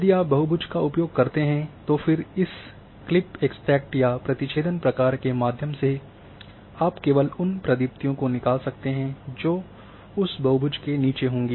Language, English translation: Hindi, If you use the polygon and then through this clip extract or intersect functions you can extract only blazes which are falling below that polygon